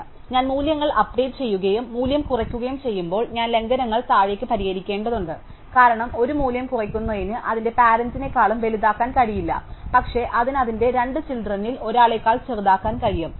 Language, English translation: Malayalam, So, when I update values and decrease the value, I have to fix violations downwards because reducing a value cannot make it bigger than its parent, but it can make it smaller than one of its two children